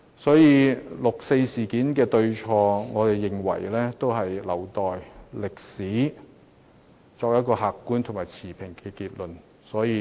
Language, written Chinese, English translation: Cantonese, 所以，對於六四事件的對與錯，我們認為應留待歷史作出客觀和持平的結論。, Therefore let us leave the right and wrong of the 4 June incident to history . We hold that history will give us an objective and impartial conclusion eventually